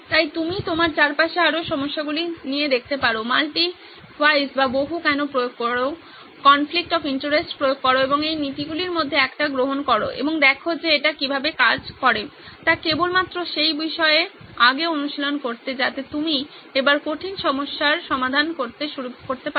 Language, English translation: Bengali, So you can take up more problems that you see all around you, apply the multi why, apply conflict of interest and take one of these principles and see if how it works just to get practice on that before you can embark on serious problems